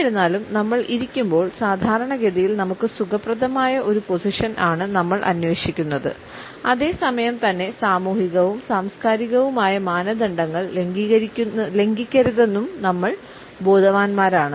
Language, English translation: Malayalam, Even though we understand that while we sit; then we normally are looking for a position which is comfortable to us and at the same time we are conscious not to violate the social and cultural norms